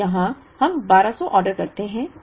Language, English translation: Hindi, Now, here we order 1200